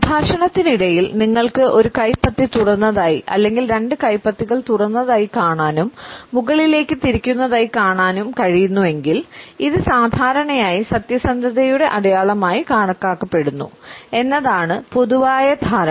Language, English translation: Malayalam, The normal understanding is that if during the dialogue, you are able to perceive one palm as being open as well as both palms as being open and tending towards upward, it is normally considered to be a sign of truthfulness and honesty